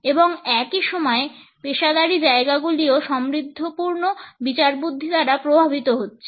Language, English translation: Bengali, And, at the same time the professional settings were also influenced by this enriched understanding